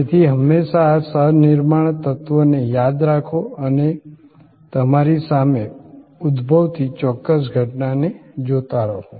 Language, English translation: Gujarati, So, always remember this co creation element and keep watching that, particular phenomena emerging in front of you